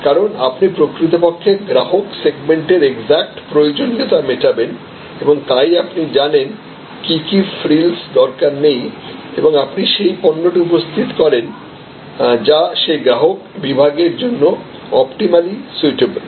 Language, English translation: Bengali, Because, you are actually matching the exact requirement of the customer segment and therefore, you know what frills can be deleted and you come up with the product which is optimally suitable for that customer segment